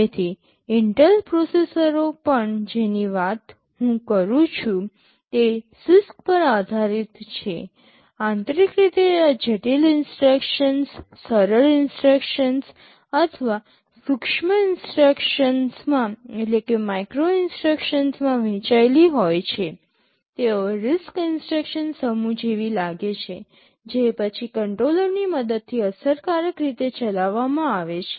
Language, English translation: Gujarati, So, even the Intel processors I am talking about those are based on CISC; internally these complex instructions are broken up into simpler instructions or micro instructions, they look more like a RISC instruction set, which are then executed efficiently using a controller